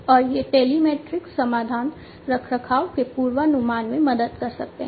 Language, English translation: Hindi, And these telematic solutions can help in forecasting maintenance etcetera